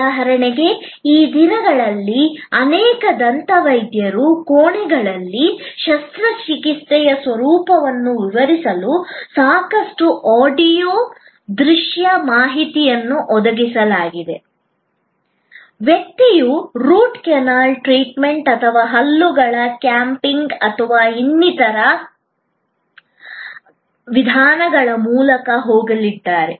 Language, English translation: Kannada, Like for example, these days in many dentist chambers, lot of audio visual information are provided to explain the nature of the surgery, the person is going to go through like maybe Root Canal Treatment or capping of the teeth or some other procedure